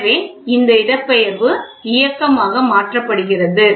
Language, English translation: Tamil, So, this is this displacement is converted into this motion